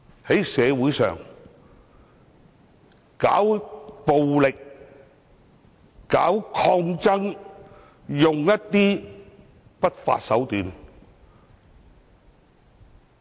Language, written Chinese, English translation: Cantonese, 誰在社會上搞暴力、搞抗爭，使用不法手段？, Who has been resorting to violence in society engaging in resistance and resorting to illegal means?